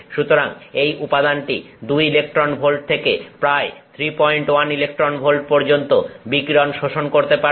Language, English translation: Bengali, So, this material will absorb radiation from two electron volts to about 3